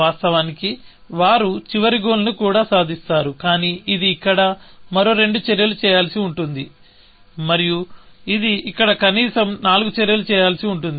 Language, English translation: Telugu, Of course, they will even eventually, achieve the goal, but this will have to do two more actions here, and this will have to do at least four more actions here, essentially